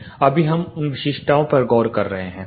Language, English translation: Hindi, We are looking into those specifications right now